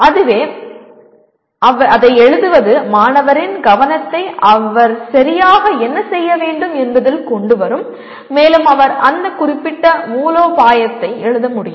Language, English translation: Tamil, That itself, writing that itself will bring the attention of the student to what exactly he needs to do and he can write down that particular strategy